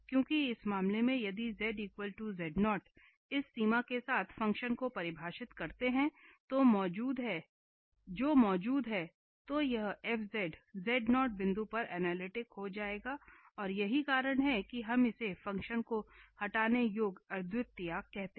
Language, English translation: Hindi, Because in this case if we define the function at z equal to z0 with this limit which exist then this fz will become analytic at z naught point and that is the reason we call it as a removable singularity of the function